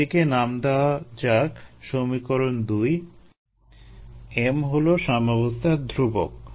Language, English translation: Bengali, in that small, let us call this equation two m is the equilibrium constant